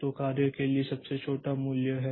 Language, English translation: Hindi, So, the jobs, so this is the smallest value